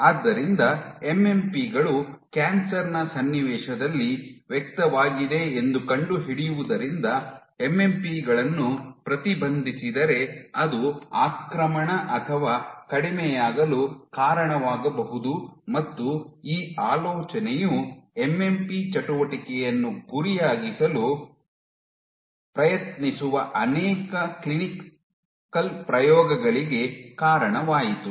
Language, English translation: Kannada, This the finding that MMPs are over expressed in the context of cancer would mean that if you inhibit MMPs then it should lead to decrease or reduced invasion and this idea led to multiple clinical trials; multiple clinical trials would try to target MMP activity